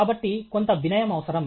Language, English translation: Telugu, So, some humility is required